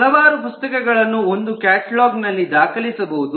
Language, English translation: Kannada, one catalog records any number of books